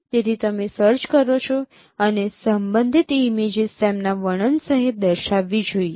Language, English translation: Gujarati, So you give a search and associated images would be shown including their description